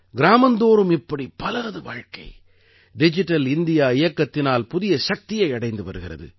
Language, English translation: Tamil, How many such lives in villages are getting new strength from the Digital India campaign